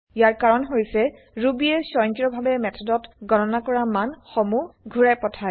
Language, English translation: Assamese, This is because Ruby automatically returns the value calculated in the method